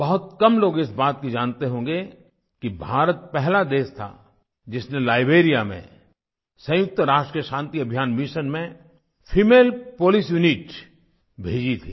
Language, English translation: Hindi, Very few people may know that India was the first country which sent a female police unit to Liberia for the United Nations Peace Mission